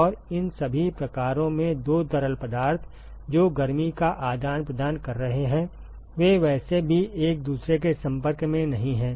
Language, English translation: Hindi, And in all these types the two fluids, which is exchanging heat they are not in contact with each other anyway right